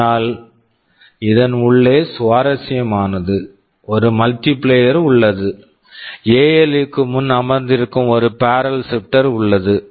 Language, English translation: Tamil, But inside this is interesting, there is a multiplier, there is a barrel shifter which that are sitting before the ALU